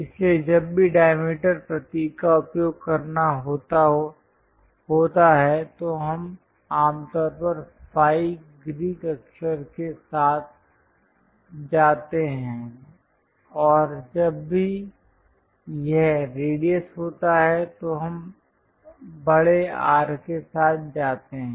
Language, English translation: Hindi, So, whenever diameter symbol has to be used usually we go with ‘phi’ Greek letter and whenever it is radius we go with capital ‘R’